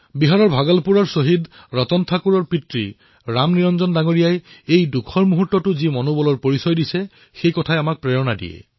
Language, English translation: Assamese, The fortitude displayed by Ram Niranjanji, father of Martyr Ratan Thakur of Bhagalpur, Bihar, in this moment of tribulation is truly inspiring